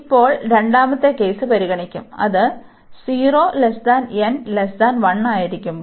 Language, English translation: Malayalam, Now, we will consider the second case, which is 0 to 1, when n is lying between 0 and 1